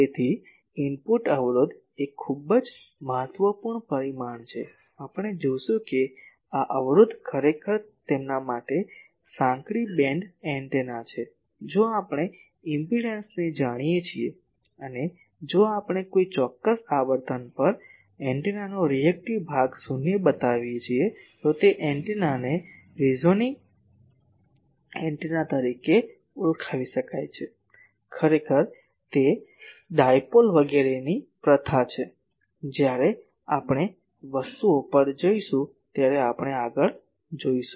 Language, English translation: Gujarati, So, input impedance is a very important parameter we will see that, this impedance actually the narrow band antennas for them, if we know the impedance and, if we can make the reactive part of the antenna at a particular frequency is zero, then that antenna can be called as a resonating antenna actually that is the practice in dipole etc